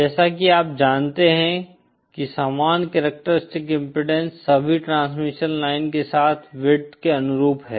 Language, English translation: Hindi, As you know uniform characteristic impedance corresponds to uniform with along for all transmission lines